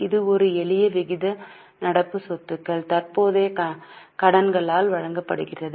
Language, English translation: Tamil, This is a simple ratio, current assets divided by current liabilities